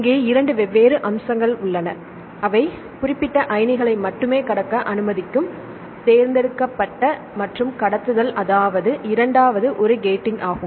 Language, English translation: Tamil, So, there are 2 different aspects one is the selective and conduction they will allow passing only specific ions and the second one is the gating